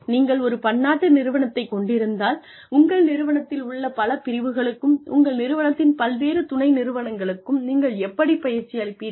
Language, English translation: Tamil, If you have a multinational organization, how do you deliver training to the different parts of your organization, to the different subsidiaries of your organization